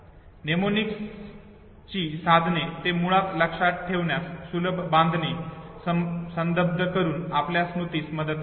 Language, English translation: Marathi, Mnemonics devices they basically aide our memory by associating easy to remember constructs, okay